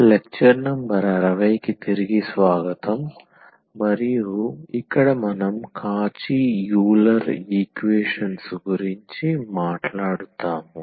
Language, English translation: Telugu, So, welcome back and this is lecture number 60 we will be talking about a Cauchy Euler equations